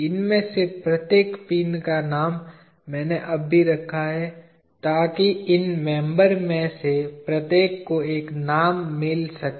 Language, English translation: Hindi, Each of these pins I have named now, so that every one of these members can get a name